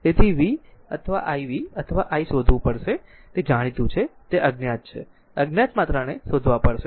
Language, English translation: Gujarati, So, you have to find out v or i v or i right whatever it is known are unknown, unknown quantities you have to find out